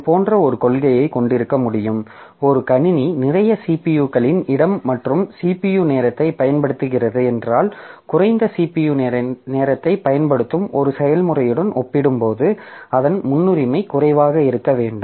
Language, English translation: Tamil, I can also have a policy like this that if a system is using lot of CPU space, CPU time, then its priority should be low compared to a process which uses less CPU time